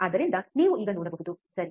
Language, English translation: Kannada, So, you could see now, right